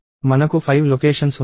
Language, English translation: Telugu, I have 5 locations